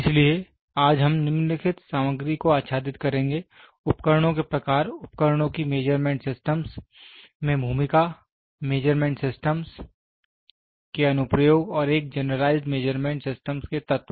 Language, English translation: Hindi, So, today we will be covering the following content; types of instruments, then role of the instruments in measuring measurement systems, applications of measurement systems and elements of a generalized measurement system